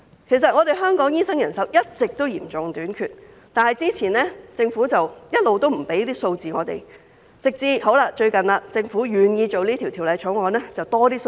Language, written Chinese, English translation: Cantonese, 其實，香港醫生人手一直都嚴重短缺，但政府過往一直沒有向我們提供數字，直至最近政府願意處理《條例草案》，才提供了多一點數字。, In fact Hong Kong has long been suffering a serious shortage of doctors but the Government has never provided us with the relevant figures . It was until recently that the Government was willing to work on the Bill and provide us with a little bit more figures